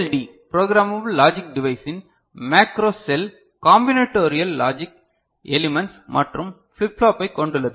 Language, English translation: Tamil, Macro cell of a programmable logic device PLD consists of combinatorial logic elements and flip flop